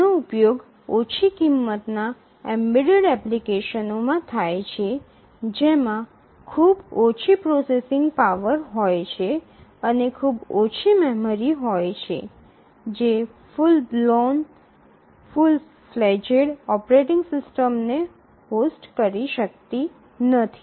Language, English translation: Gujarati, So, as we mentioned that these are used in low cost embedded applications having very less processing power and very small memory which cannot host, host full blown, full flaced operating systems